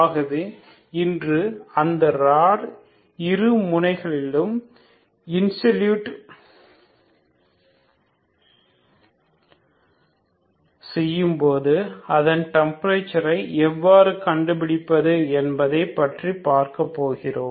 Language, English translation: Tamil, So today we will see how to find the temperature in the rod when the both the ends are insulated